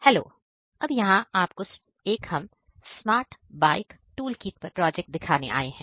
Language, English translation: Hindi, We are here to present our class project which is Smart Bike Toolkit